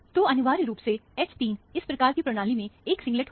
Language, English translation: Hindi, So, essentially, H 3 will be a, essentially a singlet, in this kind of a system